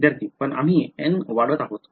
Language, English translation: Marathi, But we are increasing N know